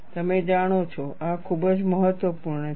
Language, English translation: Gujarati, You know, this is very important